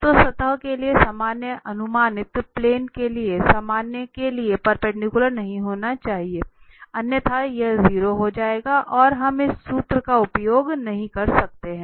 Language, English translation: Hindi, So normal to the surface should not be perpendicular to the normal to the projected plane otherwise, this will become 0 and we cannot use this formula